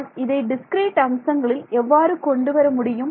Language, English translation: Tamil, But how do I bring in the discrete world